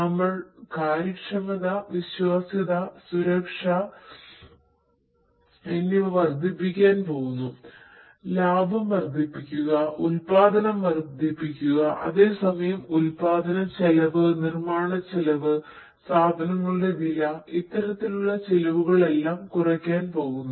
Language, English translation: Malayalam, We are going to improve efficiency; we are going to increase the reliability, safety, security; maximize the profit, maximize production and at the same time, we are going to slash the cost; the cost of production, the cost of manufacturing, the cost of the goods in turn